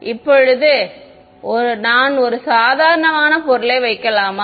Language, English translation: Tamil, Now can I put an ordinary material